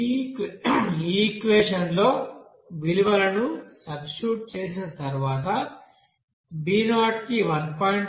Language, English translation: Telugu, After substitution of this value here in this equation, we can get b 0 is equal to 1